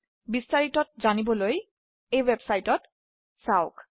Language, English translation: Assamese, For details please visit this website